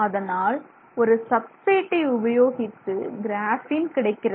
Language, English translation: Tamil, So, you basically have these layers of graphene